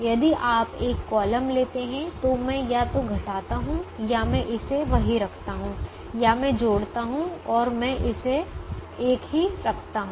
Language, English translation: Hindi, if you take a column, i either subtract or i keep the same, or i add and or and i keep it the same